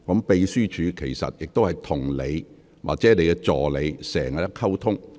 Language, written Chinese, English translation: Cantonese, 秘書處經常與議員或議員助理就此作出溝通。, The Secretariat communicates with Members or their assistants in this regard all the time